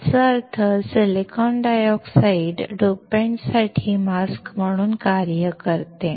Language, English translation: Marathi, That means, silicon dioxide acts as a mask for the dopant